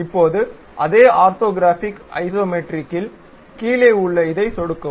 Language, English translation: Tamil, Now, in the same orthographic Isometric click this down one